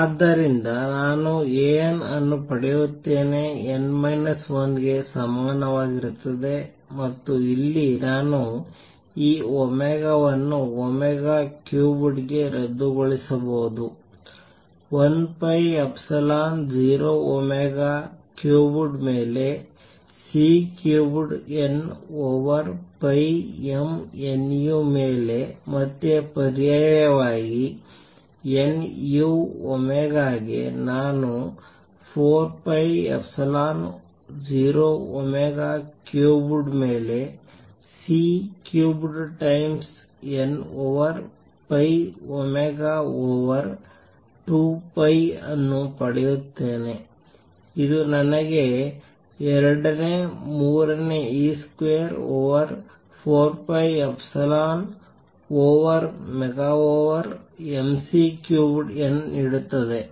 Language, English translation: Kannada, So, I get A n, n minus 1 is equal to and here, I can cancel this omega to omega cubed is equal to 1 third e square over 4 pi epsilon 0 omega cubed over C cubed n over pi m nu again substitute nu for omega, I get 1 third e square over 4 pi epsilon 0 omega cubed over C cubed times n over pi m omega over 2 pi which gives me 2 thirds e square over 4 pi epsilon 0 omega over m C cubed n